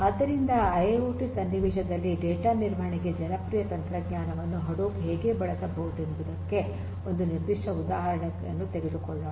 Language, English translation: Kannada, So, let us now take a specific example of how Hadoop a popular technology could be used for data management in IIoT scenarios